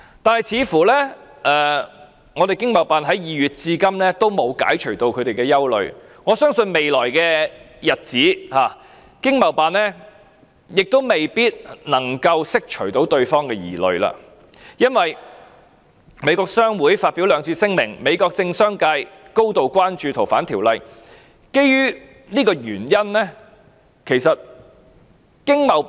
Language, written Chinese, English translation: Cantonese, 但是，似乎華盛頓經貿辦在2月至今仍沒有解除他們的憂慮，我相信未來的日子，華盛頓經貿辦亦未必能夠釋除對方的疑慮，因為美國商會已發表兩次聲明，美國政商界也高度關注該條例的修訂。, But apparently the Washington ETO has not since February dispelled their concerns . And I believe it is probably incapable of allaying their concerns in the future because the American Chamber of Commerce in Hong Kong has already issued two statements and the political and business sectors of the United States have also expressed their grave concern about the legislative amendment